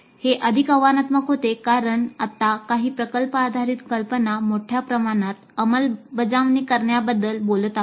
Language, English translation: Marathi, And this becomes more challenging because now we are talking of a large scale implementation of product based idea